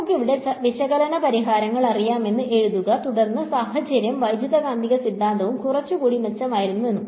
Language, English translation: Malayalam, So, Let us just write that down over here we know analytical solutions and then, the situation and electromagnetic theory was a little bit better